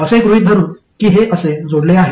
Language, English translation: Marathi, So let's say I connect it to this node